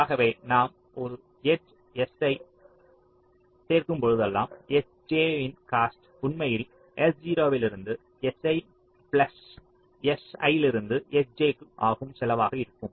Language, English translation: Tamil, so whenever we add an edge s i s j cost will be actually the cost from s zero to s i plus cost of s i to s j